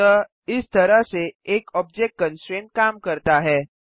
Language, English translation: Hindi, So this is how an object constraint works